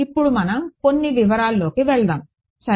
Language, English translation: Telugu, Now, let us let us get into some of the details ok